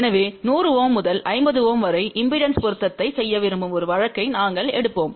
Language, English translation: Tamil, So, we will take a case where we want to do impedance matching from 100 Ohm to 50 Ohm